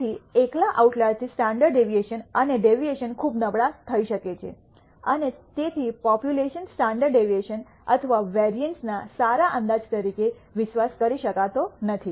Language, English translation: Gujarati, So, a single outlier can cause the standard deviation and the variance to become very poor and therefore cannot be trusted as a good estimate of the population standard deviation or variance